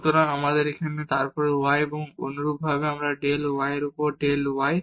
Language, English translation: Bengali, So, here then y and similarly we have del z over del y